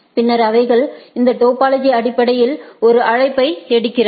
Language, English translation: Tamil, And, then a they take a call based on this topology